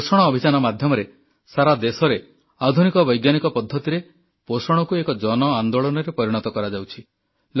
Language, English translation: Odia, Under the 'Poshan Abhiyaan' campaign, nutrition made available with the help of modern scientific methods is being converted into a mass movement all over the country